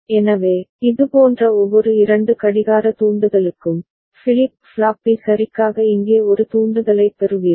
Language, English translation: Tamil, So, for every two such clock trigger, you get one trigger out over here for flip flop B ok